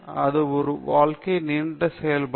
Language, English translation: Tamil, It’s a life long activity